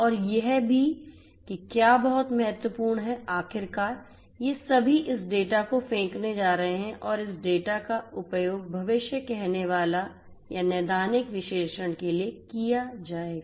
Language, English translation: Hindi, And also what is very important is finally, all of these are going to throwing this data this data will be used for predictive or preventive machine analytics right